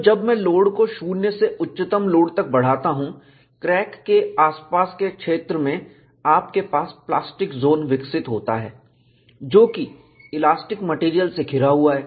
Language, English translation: Hindi, So, when I increase the load from 0 to peak load, in the vicinity of the crack, you have plastic zone developed, which is surrounded by elastic material